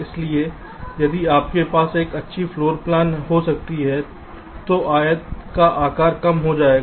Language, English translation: Hindi, so if you can have a better floor plan, your that size of the rectangle will reduce